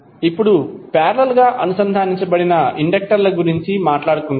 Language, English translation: Telugu, Now, let us talk about the inductors connected in parallel